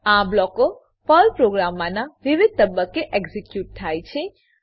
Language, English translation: Gujarati, These blocks get executed at various stages of a Perl program